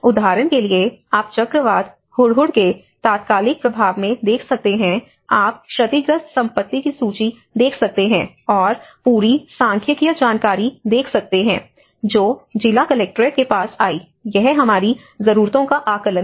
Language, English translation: Hindi, Like for example, you can see in the immediate impact of the cyclone Hudhud, you can see the list of property damaged and the whole statistical information come to the district collectorate, so this is what our needs assessment is all about